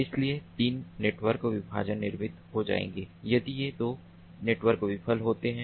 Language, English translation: Hindi, so three network partitions would be created if these two nodes fail